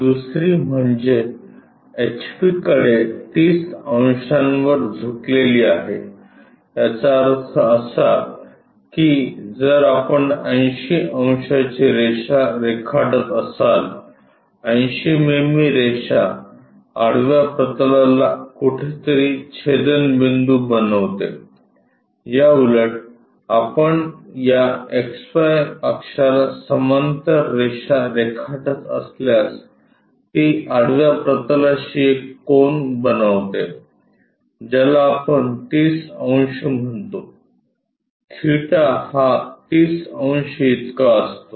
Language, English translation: Marathi, The second one is is inclined to HP at 30 degrees; that means, if we are drawing a 80 degrees line, 80 mm line is supposed to make an intersection with the horizontal plane somewhere, vice versa if we are drawing a line parallel to this XY axis is supposed to make an angle with the horizontal plane which we call 30 degrees theta is equal to 30 degrees